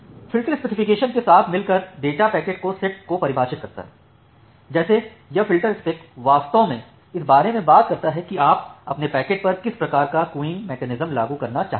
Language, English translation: Hindi, And the filterspec together with the session specification defines the set of data packets like this filter spec actually talks about that what type of queuing mechanism you want to implement on your packet